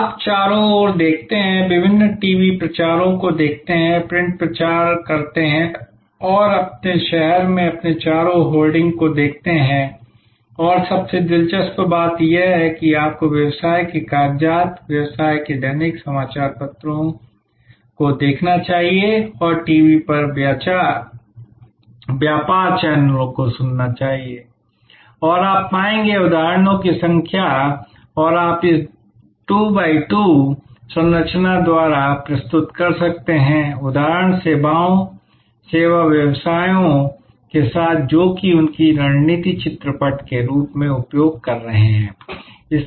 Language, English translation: Hindi, You look around, look at the various TV promotions, print promotions, look at the hoarding around you in your city and most interestingly you should look at the business papers, the business dailies and or listen to the business channels on TV and you will find number of examples and you can then present this two by two matrix populated with examples, services, service businesses who are using this as their strategy can canvas